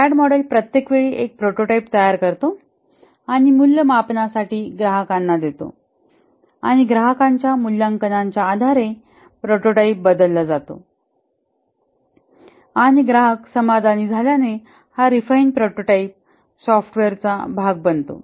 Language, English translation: Marathi, The Rad model model each time constructs a prototype and gives to the customer for evaluation and based on the customer evaluation the prototype is changed and as the customer gets satisfied the refined prototype becomes the part of the software